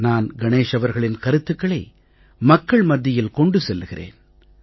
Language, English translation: Tamil, I appreciate the views of Ganesh jee and convey this message to the people of our country